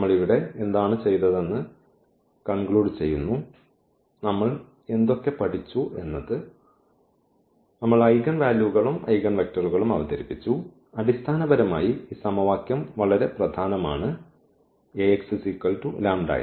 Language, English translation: Malayalam, So, coming to the conclusion what we have done here, we have studied, we have introduced the eigenvalues and eigenvector and basically this equation was very important this Ax is equal to lambda x